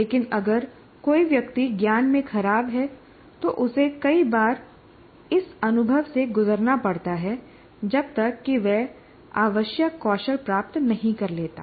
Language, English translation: Hindi, But if somebody is poor in metacognition, he needs to undergo this experience several times until he picks up the required skill